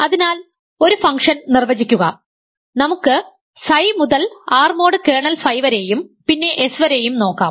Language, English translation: Malayalam, So, define a function, let us call that may be psi from R mod kernel phi to S as follows